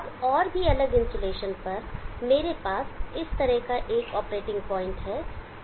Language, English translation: Hindi, Now it is still further different insulation, I have an operating point like this